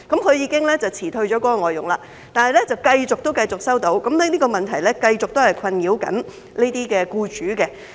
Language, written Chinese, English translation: Cantonese, 她已經辭退該外傭，但情況仍然繼續，而這個問題仍在困擾這些僱主。, While she has already sacked that FDH the situation still persists . This problem remains a headache for employers like her